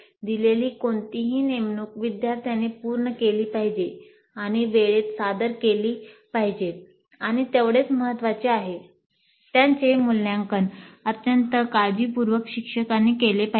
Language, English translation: Marathi, Any assignment given must be completed by the students and submitted in time and equally important it must be evaluated by the teacher very carefully